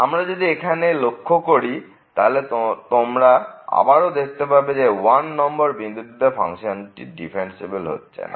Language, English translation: Bengali, And we can plot this one and then again you can see that at this point 1 here the function breaks its differentiability